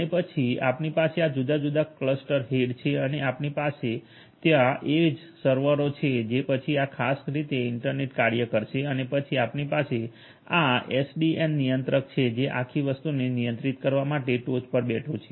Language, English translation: Gujarati, And then you have these different cluster heads and you have these edge servers there after which are going to be internet work in this particular manner and then you have this SDN controller which is sitting on top in order to control the entire thing